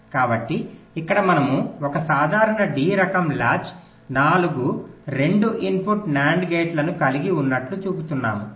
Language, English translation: Telugu, so here we are showing a simple d type latch consists of four to input nand gates